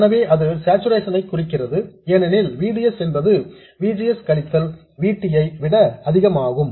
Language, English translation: Tamil, So, this implies saturation because VDS is more than VGS minus VT